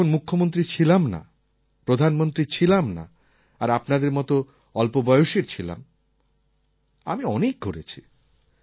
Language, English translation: Bengali, When I was neither Chief Minister nor Prime Minster, and I was young like you, I travelled a lot